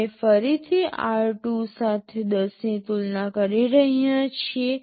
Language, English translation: Gujarati, We are again comparing r2 with 10